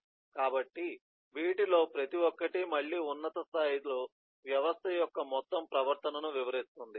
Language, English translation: Telugu, so each one of these, again at a high level, describes the overall behavior of the system